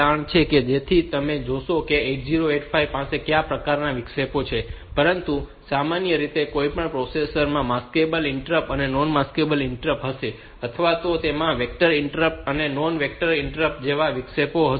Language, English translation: Gujarati, So, they will see; what are the types of interrupts that 8085 has, but in general any processor will have maskable interrupt non maskable interrupt then it will have this vectored interrupt, non vectored interrupt like that